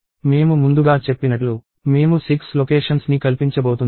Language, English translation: Telugu, As I said earlier, I am going to accommodate 6 locations